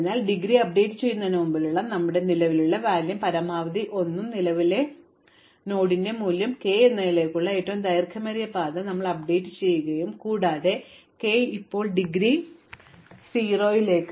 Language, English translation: Malayalam, So, we do exactly as before we update the indegree, we update the longest path to k as maximum of the current value and 1 plus the value of the current node and if we do find that the k has now become a vertex with indegree 0 we added to the queue